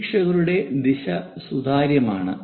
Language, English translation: Malayalam, The observer direction is transparent